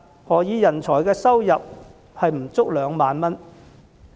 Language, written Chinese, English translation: Cantonese, 何以人才的每月收入不足2萬元？, Why some of these talents earn less than 20,000 per month?